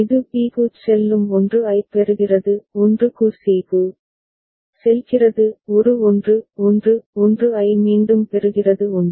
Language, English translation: Tamil, It receives a 1 it goes to b; receives a 1 goes to c; receives a receives a 1 1 1 again 1